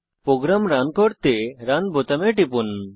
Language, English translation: Bengali, Lets click on the Run button to run the program